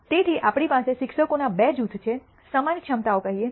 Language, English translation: Gujarati, So, we have two groups of teachers of let us say similar capabilities